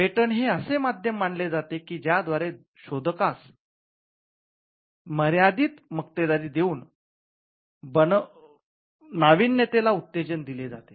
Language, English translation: Marathi, Patents are also seen as instruments that can incentivize innovation by offering a limited monopoly for the inventor